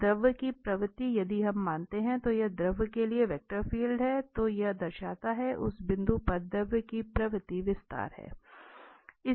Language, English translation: Hindi, So, the tendency of the fluid if we consider that this is the velocity field for the fluid than this signifies that the tendency of the fluid at that point is the expansion